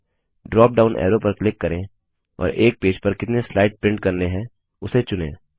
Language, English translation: Hindi, Click on the drop down arrow and choose the number of pages that you want to print per page